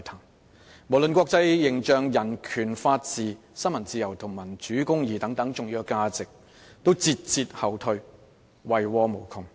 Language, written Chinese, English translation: Cantonese, 一些重要價值無論是國際形象、人權法治、新聞自由或民主公義均節節後退，遺禍無窮。, Our international image and such important values as human rights rule of law freedom of the press democracy and justice have all been retrograding resulting in endless troubles